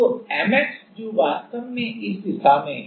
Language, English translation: Hindi, So, the Mx which is actually in this direction